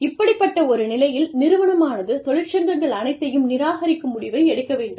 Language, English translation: Tamil, That is the time, when an organization, might decide to avoid unions, altogether